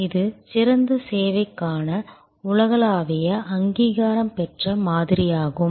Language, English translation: Tamil, It is a globally recognized model for service excellence